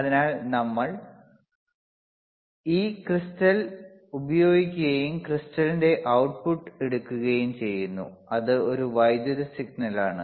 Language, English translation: Malayalam, So, we use this a crystal and then we had takinge the output of the crystal right and this output will be nothing, but, which is an electrical signal